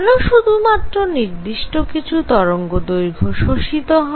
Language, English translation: Bengali, Why is it that only certain wavelengths are absorbed